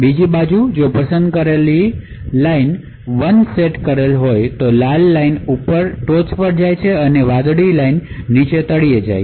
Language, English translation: Gujarati, On the other hand, if the select line is set to 1 then it is the red line which goes on top and the blue line which is at the bottom